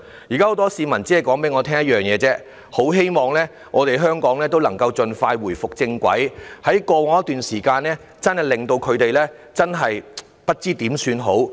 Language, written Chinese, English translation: Cantonese, 現在很多市民只跟我說一件事：很希望香港能夠回復正軌，因為在過往一段時間，情況真的令他們不知如何是好。, Many people tell me nothing but their sincere wish to put back Hong Kong on its previous track as they have been baffled for quite some time over the territorys situation